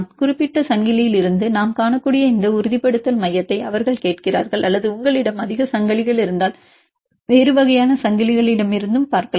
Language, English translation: Tamil, Then they are asking for this stabilization center we can see from particular chain or if you have more chains you can also see from the a different types of chains